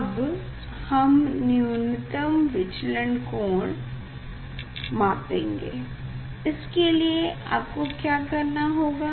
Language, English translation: Hindi, Now, I will go for the minimum deviation position for that what you have to do